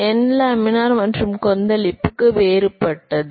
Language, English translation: Tamil, This n is different for laminar and turbulent